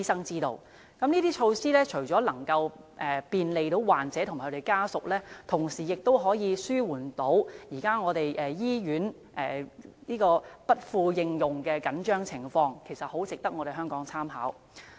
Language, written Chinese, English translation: Cantonese, 以上措施除了可便利患者及其家屬外，亦能紓緩醫院服務不敷應用的緊張情況，相當值得香港參考。, The aforesaid initiatives can not only provide convenience to patients and their family members but also alleviate the shortage of hospital services . It is worthy reference for Hong Kong